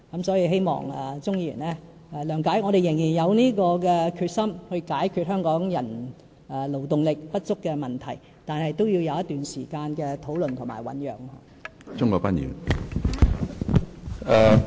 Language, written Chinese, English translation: Cantonese, 所以，希望鍾議員諒解，我們仍然有決心解決香港勞動力不足的問題，但也要有一段時間的討論及醞釀。, I therefore hope that Mr CHUNG can appreciate my situation . We are determined as ever to resolve Hong Kongs manpower shortage but we need some time for discussions and deliberations